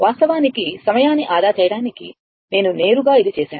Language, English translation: Telugu, So, that is what actually to save time, I have directly made it